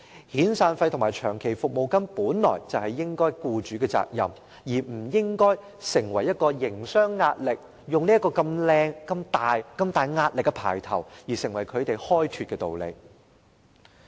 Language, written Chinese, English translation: Cantonese, 遣散費和長期服務金本應是僱主的責任，並不會構成甚麼營商壓力，他們不能用如此冠冕堂皇的言詞推搪不取消對沖安排。, The burden of severance payments and long service payments is supposed to be borne by employers which should not constitute any so - called business pressure . They should not use it as such a high - sounding excuse for not abolishing the offsetting arrangement